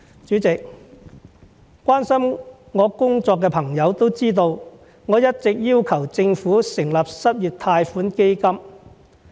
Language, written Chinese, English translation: Cantonese, 主席，關心我工作的朋友都知道，我一直要求政府成立失業貸款基金。, President for those who care about my work they should know that I have been lobbying the Government for an unemployment loan fund